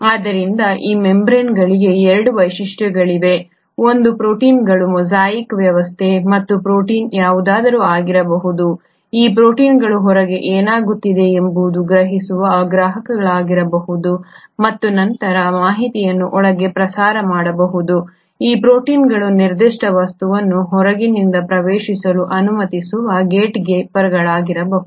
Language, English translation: Kannada, So there are 2 features to these membranes; one, a mosaic arrangement of proteins and these proteins can be anything, these proteins can be the receptors which can sense what is happening outside and then relay the information inside, these proteins can be the gatekeepers which will allow only specific material to enter from outside to inside